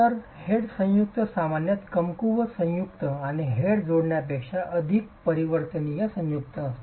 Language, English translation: Marathi, So, the head joint is typically a weaker joint and more variable a joint than the head, than the head joint